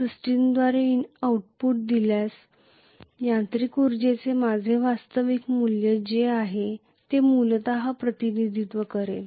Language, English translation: Marathi, This is essentially represents whatever is my actual value of mechanical energy that that have been outputted by the system